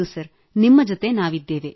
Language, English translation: Kannada, Sir we are with you